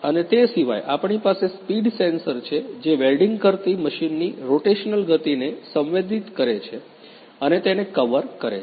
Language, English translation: Gujarati, And apart from that, we have the speed sensors which senses the rotational speed of the machine doing the welding and the covers